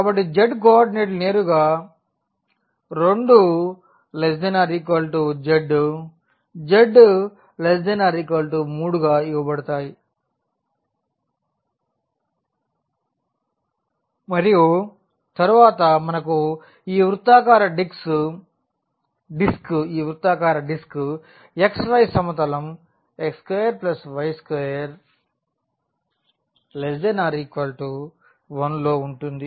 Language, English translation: Telugu, So, the z coordinates are directly given that z varies from 2 to 3 and then we have this circular disc here in the xy plane x square plus y square less than equal to 1